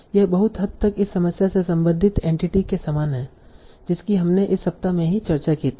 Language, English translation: Hindi, This is very similar to the entity linking problem that we discussed in this week itself